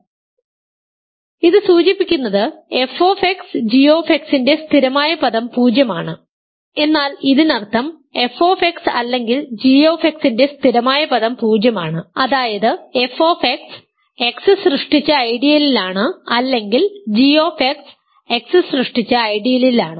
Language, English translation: Malayalam, So, this implies the constant term of f X times g X is zero, but this means the constant term of f X or gX is 0; that means, f X is in the ideal generated by X or gX is in the ideal generated by X